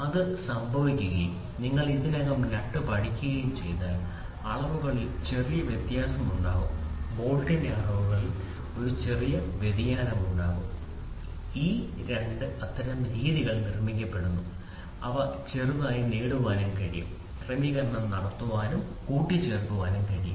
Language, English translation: Malayalam, And if that has to happen and you all we have already studied the nut will have a small variation in the dimensions, the bolt will have a small variation of the dimensions, these 2 are produced in such a fashion that they can get they can small adjustments can be made it can get adjusted and assembled